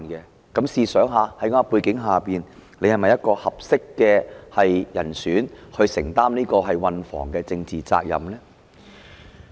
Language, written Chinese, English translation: Cantonese, 大家試想想，在這種背景下，局長是否一個合適的人選來承擔運房局的政治責任呢？, Just think about it against this backdrop is the Secretary a suitable candidate to assume the Transport and Housing Bureaus political responsibilities?